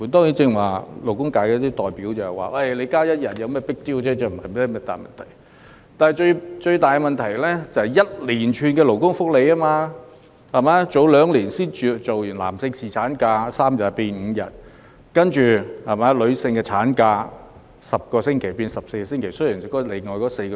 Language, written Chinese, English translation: Cantonese, 有些勞工界代表剛才表示增加一天假期沒甚麼 big deal、不是大問題，但最大問題是增設了一連串勞工福利，例如男士侍產假在兩年前由3天增至5天，其後女士的產假又由10周增至14周。, Just now some labour representatives said that it was not a big deal to grant an additional day of holiday . Yet it is a big problem that a series of labour benefits have been provided . For example following the increase in paternity leave for men from 3 days to 5 days two years ago the maternity leave for women was subsequently increased from 10 weeks to 14 weeks